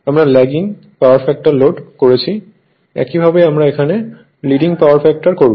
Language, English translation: Bengali, So the way, we have done Lagging Power Factor Load, same way we will do it your Leading Power Factor